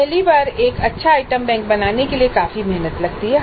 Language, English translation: Hindi, So it does take considerable effort to create good item bank for the first time